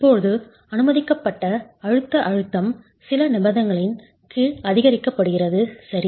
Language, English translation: Tamil, Now the permissible compressive stress is increased, is augmented under certain conditions